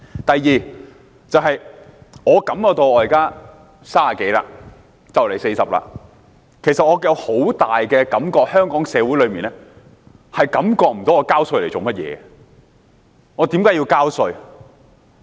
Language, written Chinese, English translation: Cantonese, 第二，我現在30多歲，快將40歲，其實我深深感覺到，香港社會上感覺不到為何要繳稅？, Secondly at my current age of 30 - something going on 40 I actually deeply feel that members of Hong Kong society do not sense the need to pay tax